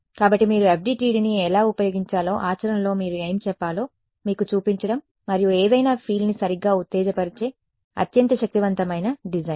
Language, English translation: Telugu, So, that is to sort of show you what should you say in practice how would you use FDTD and is very very powerful design any structure excite any fields right